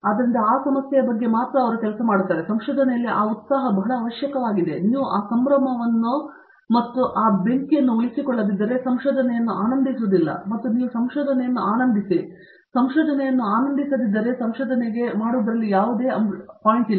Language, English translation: Kannada, So, he should feel excited that he is the only one who is working on that and that excitement in research is very essential, if you do not retain that excitement and that fire in you obviously, research is not enjoyable and if you donÕt enjoy a research there is no point in doing research